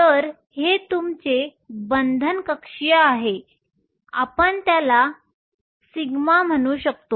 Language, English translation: Marathi, So, this is your bonding orbital we will call it sigma